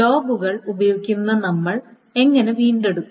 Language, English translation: Malayalam, And how do we recover using logs